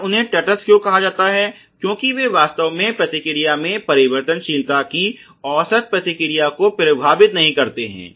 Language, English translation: Hindi, And why they are call neutral is that they do not really affect either the mean response of the variability in the response ok